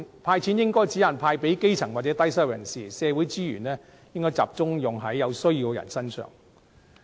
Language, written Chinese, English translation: Cantonese, "派錢"應該只限派給基層或低收入人士，社會資源應該集中用於有需要人士身上。, Cash should be handed out to grass roots or people with low income only . Social resources should focus on helping people in need